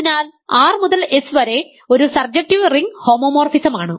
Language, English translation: Malayalam, So, R to S is a surjective ring homomorphism